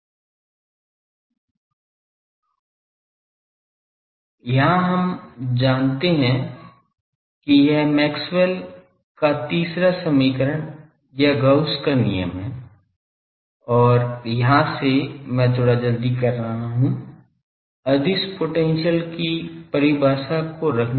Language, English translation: Hindi, And that we know this is the Maxwell’s third equation or Gauss’s law and from here, I am hurriedly doing putting the scalar potential definition